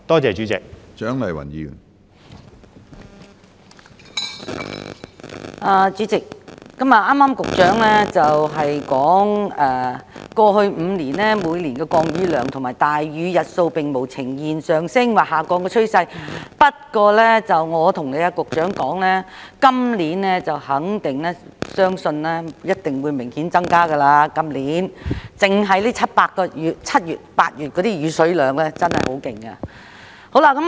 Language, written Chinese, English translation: Cantonese, 主席，局長剛才表示，過去5年，每年的降雨量和大雨日數並無呈現上升或下降的趨勢，但我要跟局長說，相信今年的數字一定會明顯增加，因為單單7月和8月的降雨量已經很厲害。, President the Secretary has just mentioned that the annual rainfall figures and the number of heavy rain days in the past five years do not indicate an upward or downward trend . However I want to tell the Secretary that I am sure the figures for this year will rise significantly because the rainfall figures for July and August alone are already alarming